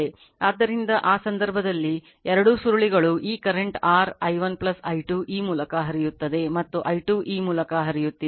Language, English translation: Kannada, So, in that case both the coils say this current your, i 1 plus i 2 flowing through this and i 2 is flowing through this